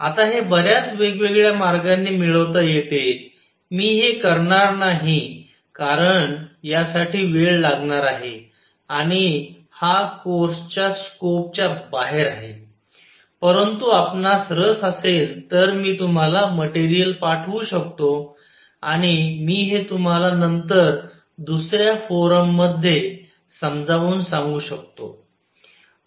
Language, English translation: Marathi, Now, this can be derived in many different ways, I am not going to do it because this is going to take time and it slightly beyond the scope of this course, but if you are interested I can send you material and I can explain it to you later at different forum